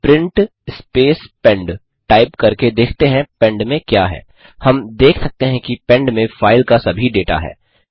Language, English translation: Hindi, Now, let us see what pend contains, by typing Print space pend We can see that pend has all the data of the file